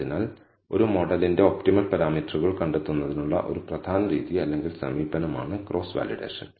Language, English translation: Malayalam, So, cross validation is a important method or approach for finding the optimal number of parameters of a model